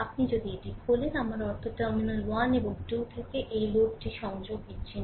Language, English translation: Bengali, If you open this, I mean from terminal 1 and 2, this load is disconnected